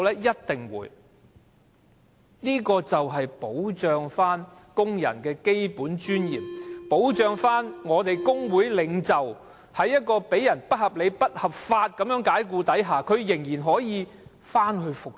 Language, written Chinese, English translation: Cantonese, 一定會，這修訂便是要保障工人的基本尊嚴，保障工會領袖遭受不合理、不合法解僱時，仍然可以復職。, They certainly would . These amendments are to protect workers basic dignity and to ensure that trade union leaders can be reinstated in case of unreasonable and unlawful dismissals